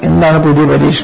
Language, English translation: Malayalam, And what was the new test